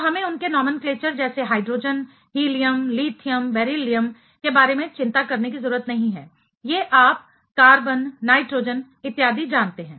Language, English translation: Hindi, So, we do not have to worry about their nomenclature like hydrogen, helium, lithium, beryllium, these you know carbon, nitrogen so on